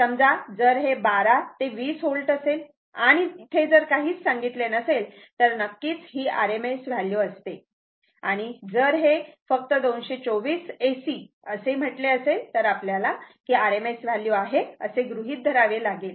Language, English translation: Marathi, Suppose, if it is 12 to 20 volt, that is basically rms value unless and until it is not mentioned and if it say 224 AC, you have to assume this is rms value